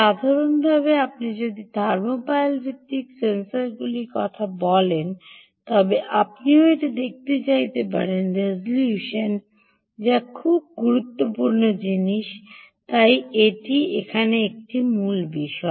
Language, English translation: Bengali, if you are talking about thermopile based sensors, you may also want to look at resolution, which is an very important things